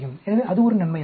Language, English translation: Tamil, So, that is an advantage